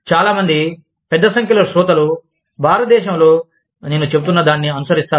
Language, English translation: Telugu, But, I am assuming, that a lot of, a large number of listeners, within India, will follow, what I am saying